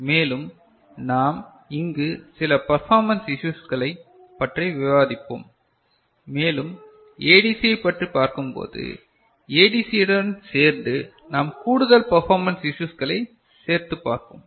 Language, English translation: Tamil, And, we shall discuss some of the performance issues here and more performance issues we shall take up when we discuss ADC, together with ADC we shall look at them ok